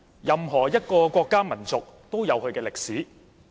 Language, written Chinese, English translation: Cantonese, 任何一個國家民族均有其歷史。, Every country and nation has its history